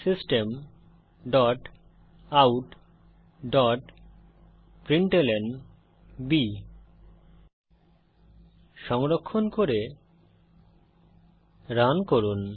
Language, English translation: Bengali, System dot out dot println Save and Run